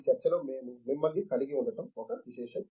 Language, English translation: Telugu, It is a privilege that we will have you in this discussion